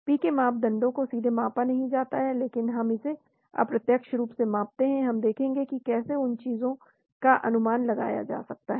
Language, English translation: Hindi, PK parameters are not directly measured, but we do measure it indirectly we will go through how to estimate all those things